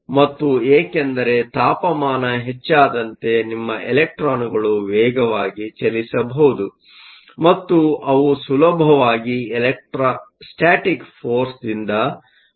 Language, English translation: Kannada, And this is because as the temperature increases your electrons can move faster and so they can easily escape the electrostatic force